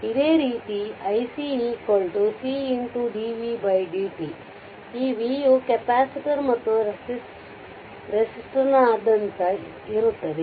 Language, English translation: Kannada, This v is across the same this capacitor as well as the resistor